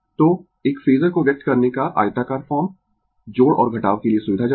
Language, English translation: Hindi, So, the rectangular form of expressing a phasor is convenient for addition or subtraction, right